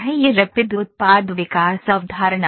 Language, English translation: Hindi, This is Rapid Product Development concept